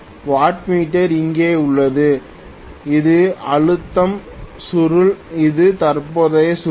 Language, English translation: Tamil, So wattmeter is here, this is the pressure coil, this is the current coil okay